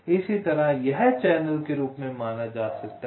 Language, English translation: Hindi, similarly, this can be regarded as channels